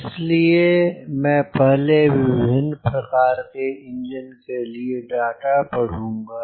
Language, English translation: Hindi, so first i will read the data for this of the different types of engines